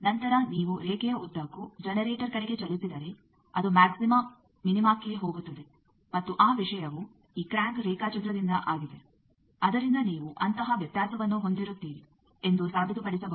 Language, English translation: Kannada, Then if you move along the line towards generator, it will go to maxima, minima and that thing is from this crank diagram it can be proved that you will have a variation like that